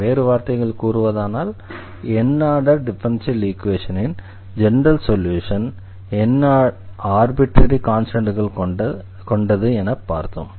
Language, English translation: Tamil, In other words what we have also discussed here the general solution of nth order differential equation which contains n arbitrary constants